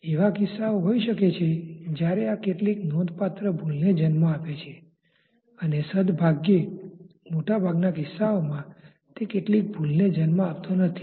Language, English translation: Gujarati, There may be cases when this gives rise to some significant error and fortunately in most cases it does not give rise to that much error